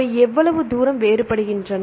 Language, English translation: Tamil, How far they are different